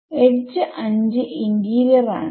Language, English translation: Malayalam, Edge 5 is in the interior right